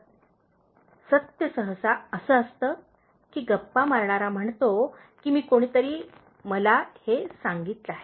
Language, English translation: Marathi, ” So, truth usually the gossiper says that somebody told me like that